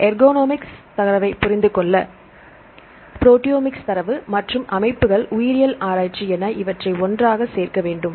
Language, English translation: Tamil, For understanding the ergonomics data; proteomic data as well as systems biology research; so try to pull together